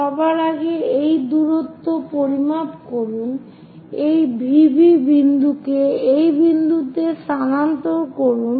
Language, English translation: Bengali, So, first of all measure this distance transfer this V B to this point